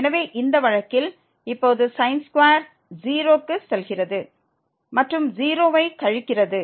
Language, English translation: Tamil, So, in this case it is a 0 and then here it is again 0